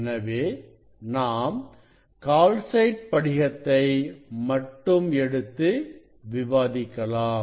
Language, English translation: Tamil, this is the calcite crystal; this is the calcite crystal